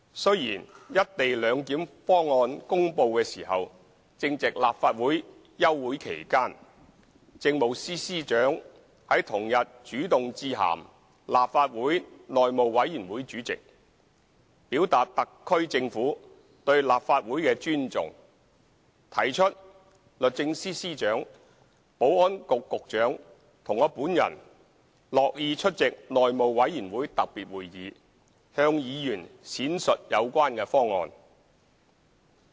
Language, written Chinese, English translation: Cantonese, 雖然"一地兩檢"方案公布時正值立法會休會期間，政務司司長於同日主動致函立法會內務委員會主席，表達特區政府對立法會的尊重，提出律政司司長、保安局局長和我本人樂意出席內務委員會特別會議，向議員闡述有關方案。, While the proposal for the co - location arrangement was announced during the summer recess of the Legislative Council the Chief Secretary for Administration took the initiative to address a letter to the Chairman of the Legislative Council House Committee the same day indicating the SAR Governments respect for the Legislative Council and proposing that the Secretary for Justice the Secretary for Security and I would be glad to attend a special meeting of the House Committee to explain the proposal concerned to Members